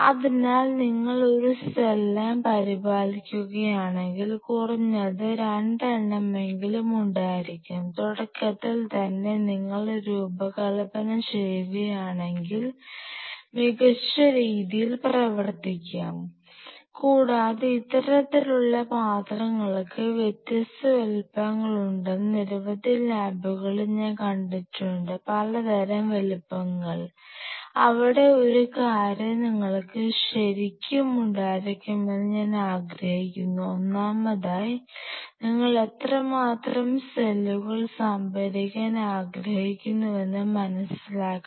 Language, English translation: Malayalam, So, you need to have at least 2 if you are maintaining a cell line minimum 2 and if you design it right in the beginning then you will be doing better and you know this kind of vessels have different sizes and I have seen several labs have several kind of sizes where one thing I realize you have to have really, first of all you have to realize how much quantity of cells you wanted to store some production something